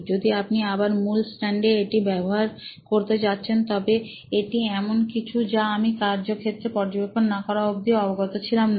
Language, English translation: Bengali, If you are going to use the main stand again this is something that is not aware of till I observed them on the field